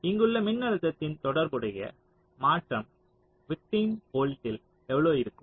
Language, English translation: Tamil, so how much will be the corresponding change in the victim volt here, the voltage here